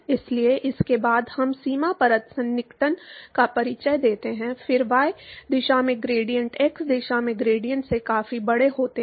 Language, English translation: Hindi, So, this is after we introduce the boundary layer approximation, then the gradients in the y direction are significantly larger than the gradients in the x direction